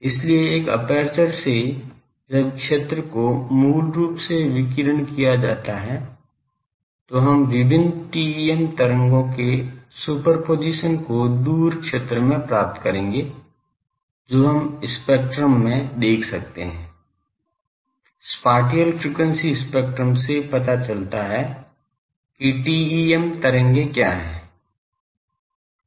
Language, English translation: Hindi, So, from an aperture when the field is radiated basically, we will get in the far field the superposition of various TEM waves that we can see in the spectrum, the spatial frequency spectrum shows that what TEM waves are there ok